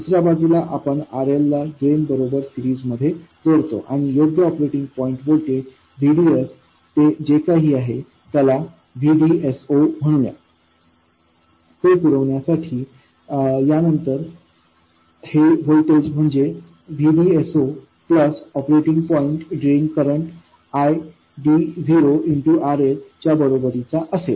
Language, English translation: Marathi, On the other side you connect RL in series with the drain and to provide the correct operating point voltage VDS, whatever that is, let's call it VDS, then this voltage will have to be equal to VDS plus the operating point drain current